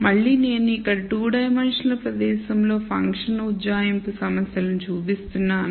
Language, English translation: Telugu, Again, I am showing function approximation problems in 2 dimensional space here